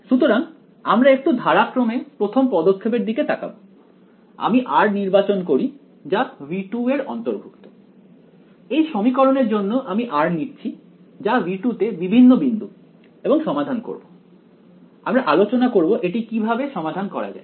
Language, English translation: Bengali, So we will let us let us look at little bit systematically in the first step, I will choose r belonging to v 2 for in this equation I will substitute r belonging to v 2 various points and solve it which we will discuss how to solve